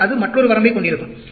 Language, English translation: Tamil, So, that will have another range